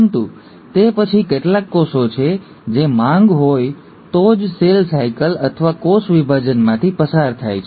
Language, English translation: Gujarati, But then, there are certain cells which undergo cell cycle or cell division only if there’s a demand